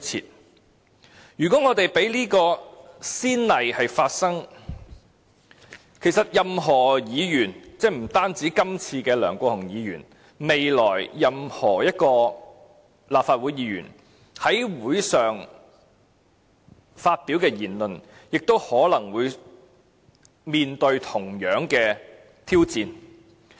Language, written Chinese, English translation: Cantonese, 所以，如果我們讓此先例一開，任何議員——不止今次的梁國雄議員——未來任何一名立法會議員在會議上發表的言論，亦可能會面對同樣挑戰。, Therefore if we allow this to happen it will set a precedent that―not only for Mr LEUNG Kwok - hung of this case―the words said by any Member at meetings of this Council in the future may face the same challenge